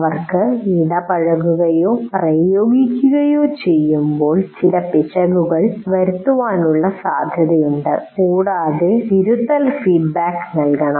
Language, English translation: Malayalam, While they are doing it, there is a possibility they may be making some errors and the corrective feedback has to be provided